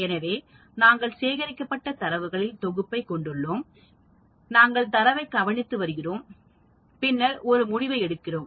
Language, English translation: Tamil, So, we have set of data collected, we are observing the data, and then making a conclusion